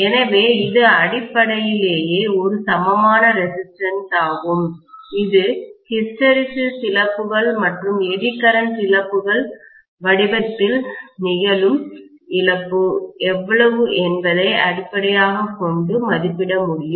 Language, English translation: Tamil, So, this is essentially an equivalent resistance that we can estimate you know based on how much is the loss that is taking place in the form of hysteresis losses and Eddy current losses